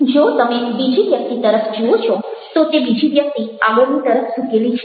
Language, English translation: Gujarati, if you looking at the second person the second person he is leaning forward